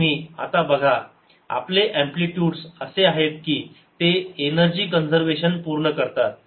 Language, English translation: Marathi, so you see that our amplitude are such that they also satisfy energy conservation